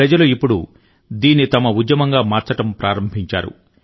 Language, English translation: Telugu, People now have begun to take it as a movement of their own